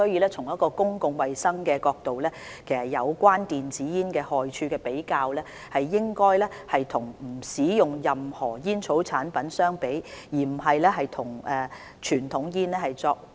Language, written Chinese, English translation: Cantonese, 從公共衞生的角度而言，有關電子煙害處的比較，應該與不使用任何煙草產品相比，而不是與傳統香煙相比。, From the perspective of public health if we are to consider the health hazards caused by e - cigarettes a comparison should be made with smoke - free situations not with smoking conventional cigarettes